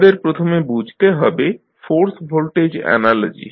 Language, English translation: Bengali, So, let us first understand the force voltage analogy